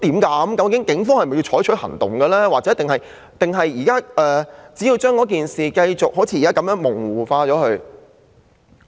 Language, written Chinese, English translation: Cantonese, 究竟警方是否採取行動，抑或將事件像現在那樣繼續模糊化？, Do the Police want to take action or do they want to continue obscuring the incident just like they are doing now?